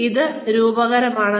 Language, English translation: Malayalam, So, this is metaphorical